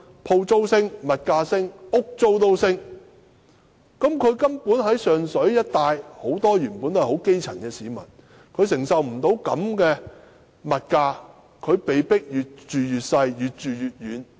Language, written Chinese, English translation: Cantonese, 鋪租、物價和房屋租金全部上升，而上水一帶的居民多是基層市民，根本無法承受這種物價水平，被迫越住越小、越住越遠。, The rentals for shops and residential flats as well as prices have all increased . As most of the residents in Sheung Shui area are grass roots they simply cannot afford the high prices so they have no alternative but to live in smaller flats and move to remoter locations